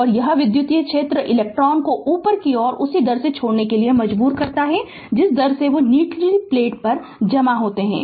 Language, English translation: Hindi, And this electric field forces electrons to leave the upper plate at the same rate that they accumulate on the lower plate right